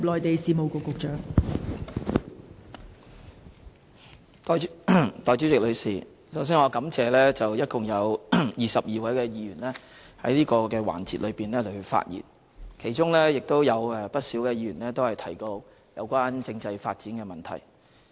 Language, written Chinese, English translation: Cantonese, 代理主席，首先我感謝一共22位議員在此環節發言，其中不少議員提到有關政制發展的問題。, Deputy President I would first of all like to thank a total of 22 Members for speaking in this debate session and many of them have spoken on the issue of constitutional development